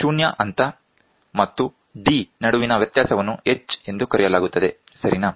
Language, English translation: Kannada, The difference between 0 level and big D is called as H, ok